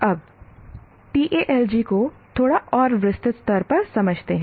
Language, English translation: Hindi, Now let us understand the Talji at a little more detail level